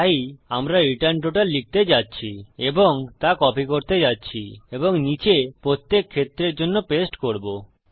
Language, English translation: Bengali, So we are going to say return total and we are going to copy that and paste it down for each case